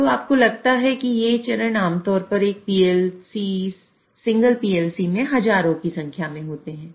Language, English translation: Hindi, And mind you, these rungs are generally thousands of rungs are there within a single PLC